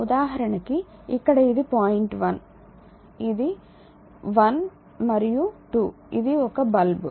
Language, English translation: Telugu, So, here it is point 1 it is 1 and 2 this is a lamp